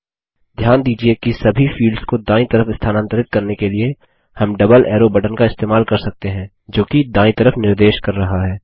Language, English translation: Hindi, Note that to move all the fields to the right we can use the double arrow button that points to the right